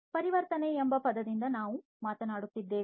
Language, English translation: Kannada, Conversion we are talking about by this term conversion